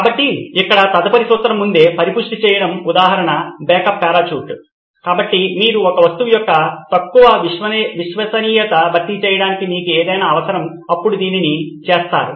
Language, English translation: Telugu, So in here the next principle is beforehand cushioning the example is a backup parachute, so you need something to compensate for the relatively low reliability of an object then you do this